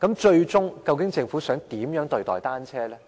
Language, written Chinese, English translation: Cantonese, 最終，究竟政府想怎樣對待單車呢？, What does the Government want to do with bicycles?